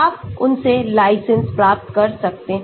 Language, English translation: Hindi, you can get here license from them